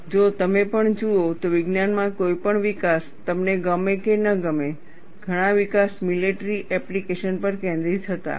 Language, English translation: Gujarati, And if you also look at, any development in science, whether you like it or not, many developments were focused on military applications